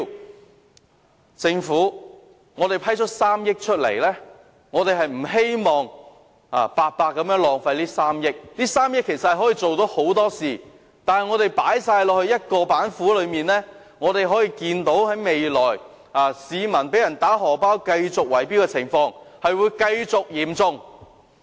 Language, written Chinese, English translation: Cantonese, 我們向政府批出3億元的撥款，不希望這些金錢白白浪費，這3億元可以做到很多事情，但如果全部用於一道板斧，可以預見，未來市民被人透過圍標"打荷包"的情況將會持續嚴重。, We have approved the 300 million funding for the Government and we do not wish to see these funds being thrown down the drain for no good cause . A lot of tasks can be accomplished with this 300 million but if all of it is spent on just one initiative it is foreseeable that the situation where money is snatched from the pockets of the people through bid - rigging will remain serious